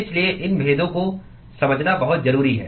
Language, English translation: Hindi, So, it is very important to understand these distinctions